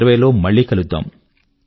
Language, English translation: Telugu, We will meet again in 2020